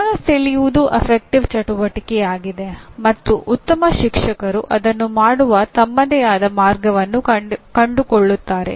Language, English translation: Kannada, That getting the attention is an affective activity and good teachers find their own way of doing actually